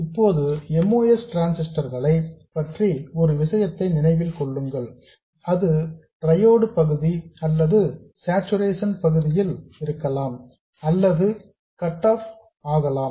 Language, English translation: Tamil, Now remember one thing about moss transistors, it could be in triode region or saturation region or cut off